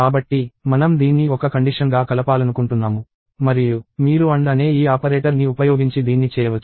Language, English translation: Telugu, So, I want to combine this into one condition and you can do this using this operator called AND